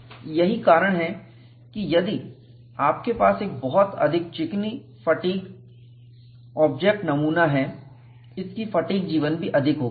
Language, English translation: Hindi, So, that is why, if you have a highly smooth fatigue object, the specimen, its fatigue life will be more